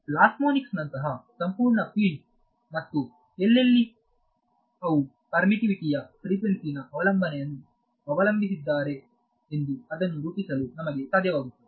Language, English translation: Kannada, So, the entire field of things like plasmonics and all where then they critically depends on frequency dependence of permittivity needs us to be able to model it right